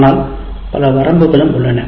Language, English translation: Tamil, But then it has several other limitations as well